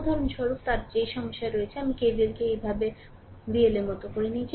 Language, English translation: Bengali, For example, they are in that in that problem, I have taken your that your K V L like your K V L like this